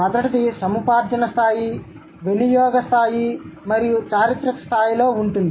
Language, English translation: Telugu, The first one is going to be in the acquisition level, use level and in the course of history level, right